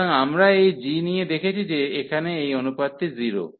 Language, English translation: Bengali, So, we have seen by taking this g that this ratio here is 0